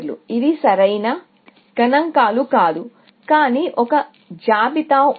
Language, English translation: Telugu, These are not correct figures, but there was a list